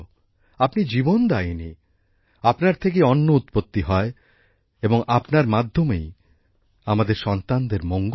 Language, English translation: Bengali, You are the giver of life, food is produced from you, and from you is the wellbeing of our children